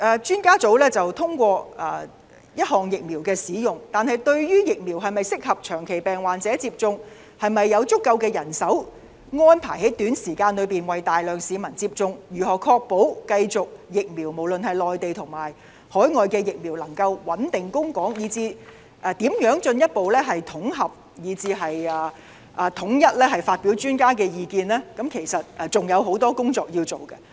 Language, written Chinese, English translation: Cantonese, 專家組昨天通過一項疫苗使用，但對於疫苗是否適合長期病患者接種、是否有足夠人手安排在短時間內為大量市民接種，如何確保無論是內地或海外疫苗都能繼續穩定供港，以至如何進一步統合和統一發表專家意見，都有很多工作需要處理。, A group of experts endorsed the use of a certain vaccine yesterday but as to whether or not the vaccine is suitable for people with chronic illness and whether the Government has sufficient manpower to carry out the vaccination programme for a large number of people within a short period how to ensure a stable supply of Mainland or overseas vaccines to Hong Kong as well as how it should further consolidate expert views and publicize these views in a uniform manner much remains to be done